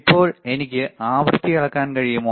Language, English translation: Malayalam, Now, if I want to measure the frequency, can I measure the frequency, right